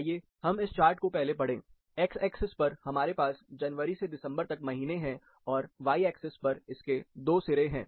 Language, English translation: Hindi, Let us read this chart first, the x axis, we have months starting from January to December, and the y axis, there are 2 sides to it